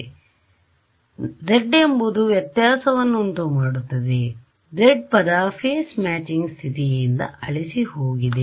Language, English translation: Kannada, Right so, z is the guy who is making the difference, but z term vanished from this phase matching condition